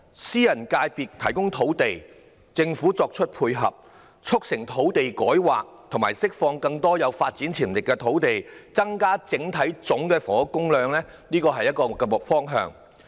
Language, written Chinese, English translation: Cantonese, 私人界別提供土地，政府作出配合，促成土地改劃及釋放更多有發展潛力的土地，增加整體房屋供應，這是一個可行方向。, The private sector can provide land while the Government can make complementary efforts to facilitate rezoning of land sites and release more land with potential for development thereby increasing the overall housing supply . This is a feasible direction